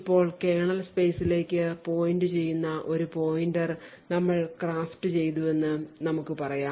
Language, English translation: Malayalam, Now let us say that we craft a pointer which is pointing to the kernel space